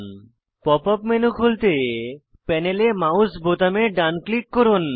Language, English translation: Bengali, To open the Pop up menu, right click the mouse button on the panel